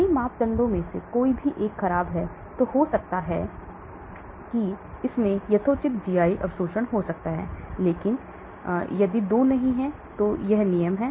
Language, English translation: Hindi, If 1 of the parameters are bad chances are maybe it may have reasonably good GI absorption, but if 2 do not, so that is the rule